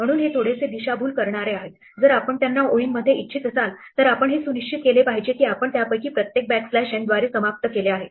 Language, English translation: Marathi, So, its bit misleading the name if you want to them in lines you must make sure that you have each of them terminated by backslash n